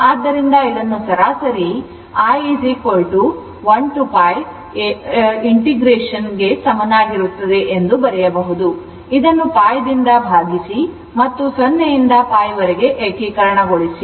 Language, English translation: Kannada, So, this can be written as your I average is equal to is your one to pi because, divide this by pi and 0 to pi i d theta right